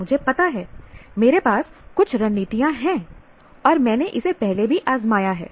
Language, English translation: Hindi, I know I have some strategies with myself and I have tried it out earlier